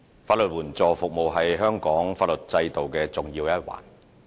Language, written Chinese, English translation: Cantonese, 法援服務是香港法律制度的重要一環。, Legal aid service is an integral part of Hong Kongs legal system